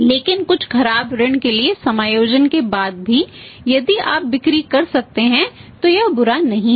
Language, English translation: Hindi, But even after adjustment for some bad debts, so if you if you can make the sales it is not bad